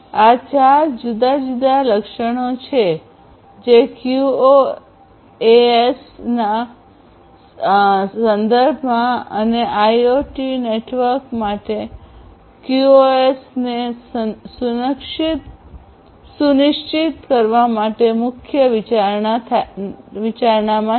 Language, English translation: Gujarati, These are the 4 different attributes which are of prime consideration in the context of QoS and using and ensuring QoS for IoT networks